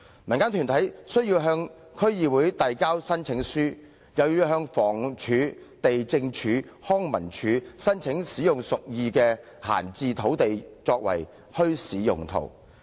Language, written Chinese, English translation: Cantonese, 民間團體須向區議會遞交申請書，又要向房屋署、地政總署、康文署等申請使用屬意的閒置土地作墟市用途。, To hold a bazaar the organization has to apply to the relevant District Council and then apply to the Housing Department Lands Department and LCSD for using the idle land for the said purpose